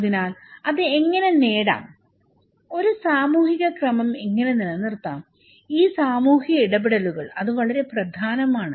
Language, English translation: Malayalam, So, then how to achieve that one, that how we can maintain that social order, these social interactions okay, that is very important